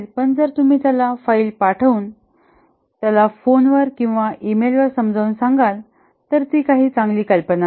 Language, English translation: Marathi, You pass a document or explain him on phone or email, that's not a good idea